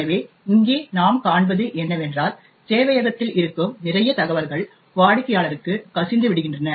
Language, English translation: Tamil, So, what we see over here is that a lot of information present in the server gets leaked to the client